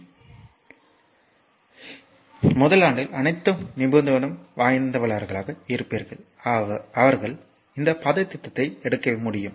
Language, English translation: Tamil, So, everybody I mean all the specializing in first year they can they can take this course right and